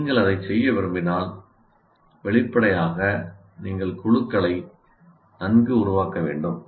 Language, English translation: Tamil, If you want to do that, obviously you have to form the groups right